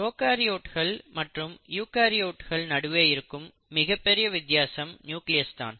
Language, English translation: Tamil, Now let us come to one of the most distinguishing features between the prokaryotes and the eukaryotes and that is the nucleus